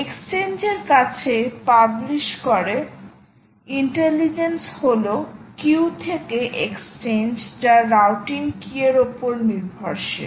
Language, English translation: Bengali, you publish to an exchange and the intelligence is from the exchange to the q, which is dependent on the routing key